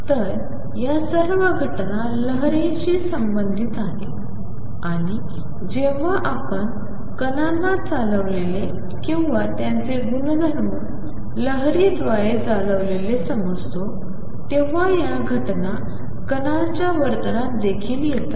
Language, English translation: Marathi, So, these are all phenomena concerned with waves and when we consider particles as being driven by or their properties been driven by waves these phenomena come into particles behavior also